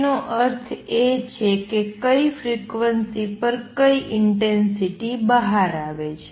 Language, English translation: Gujarati, That means, what intensity is coming out at what frequency